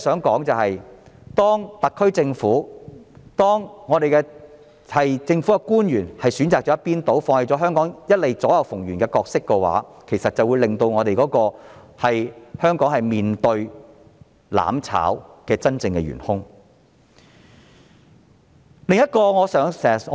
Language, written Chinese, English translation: Cantonese, 當特區政府及政府官員選擇向一邊傾倒，放棄香港一直以來左右逢源的角色，他們便是令香港面對"攬炒"的真正元兇。, As the SAR Government and government officials have chosen to incline towards one side and give up Hong Kongs long - standing role of winning advantages from both sides they are the real culprits who made Hong Kong face mutual destruction